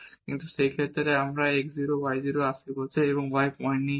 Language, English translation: Bengali, So, up to this one if we write down at this x 0 y 0 point